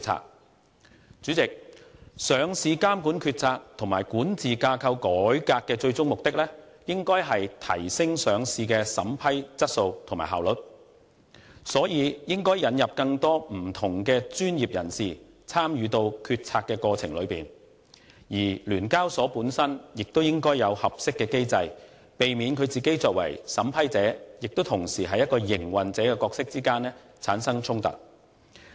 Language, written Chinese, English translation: Cantonese, 代理主席，上市監管決策及管治架構改革的最終目的，應該是提升上市的審批質素和效率，所以應引入更多不同的專業人士參與決策過程，而聯交所本身亦應該有合適機制，避免聯交所作為審批者同時亦是營運者的角色之間產生衝突。, Deputy President the ultimate goal of reforming the decision - making and governance structure of listing regulation should be enhancing the quality and efficiency of vetting and approving listing applications . So more different professionals should be involved in the decision - making process . And SEHK should devise an appropriate mechanism to prevent conflicts in its dual role as a vetting and approval authority and also an operator